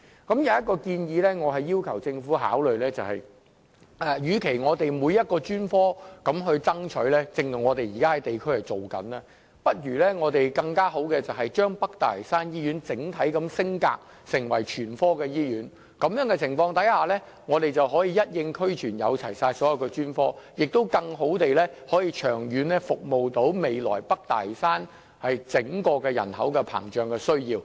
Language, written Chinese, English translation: Cantonese, 我要求政府考慮，與其我們每一個專科都要爭取——這也是我們在地區正進行的工作——倒不如將北大嶼山醫院整體升格成為全科醫院，那麼北大嶼山醫院便可以一應俱全，能夠提供所有專科，從而更好地長遠服務未來北大嶼山膨脹人口的需要。, Instead of launching a campaign for each specialty I would like to request the Government to consider upgrading the North Lantau Hospital as a whole to a general hospital―it is among the district work undertaken by us currently―so that all specialty services can be provided there to better cater to the future needs of the expanding population in North Lantau in the long run